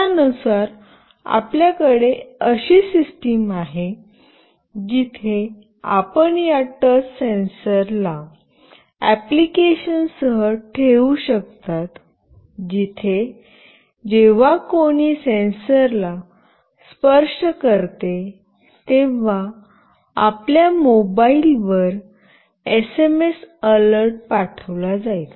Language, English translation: Marathi, So, accordingly you can have a system where you can put this touch sensor along with the application where whenever somebody touches the sensor an SMS alert will be sent to your mobile